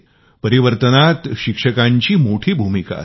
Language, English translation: Marathi, The teacher plays a vital role in transformation